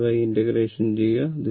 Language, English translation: Malayalam, You please do this integration